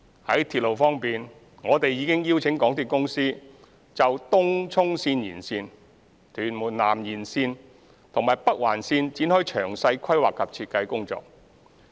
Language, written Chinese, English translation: Cantonese, 在鐵路方面，我們已經邀請香港鐵路有限公司就東涌綫延綫、屯門南延綫和北環綫展開詳細規劃及設計工作。, In respect of railway we have invited the MTR Corporation Limited MTRCL to embark on the detailed planning and design of the Tung Chung Line Extension Tuen Mun South Extension and Northern Link